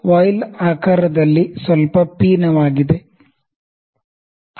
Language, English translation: Kannada, The voile is little convex in the shape